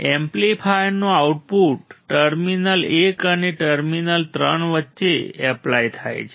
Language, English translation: Gujarati, The output of the amplifier is applied between terminals 1 and terminal 3